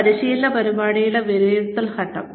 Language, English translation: Malayalam, The assessment phase of a training program